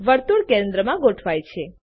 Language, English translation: Gujarati, The circle is aligned to the centre position